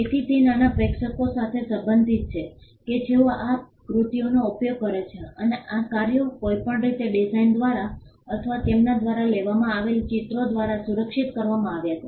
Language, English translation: Gujarati, So, it pertained to a small audience who use these works and these works were anyway protected by the design or by the illustrations that they carry